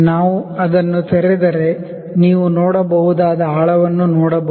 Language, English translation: Kannada, If we open it, if we open it we can also see the depth you can see